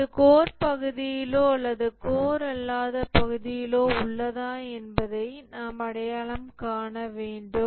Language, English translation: Tamil, We must also identify whether it is in the core part or the non core part